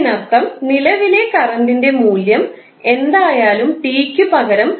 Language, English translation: Malayalam, Now, we have to calculate current at time t is equal to 0